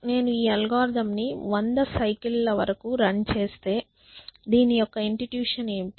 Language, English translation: Telugu, Five ones; so if I run this algorithm let us say for hundred cycles what is the what are the intuition say